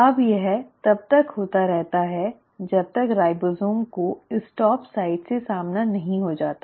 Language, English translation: Hindi, Now this keeps on happening till the ribosome encounters the stop site